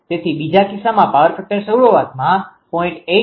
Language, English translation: Gujarati, So, power factor in the second case initial is 0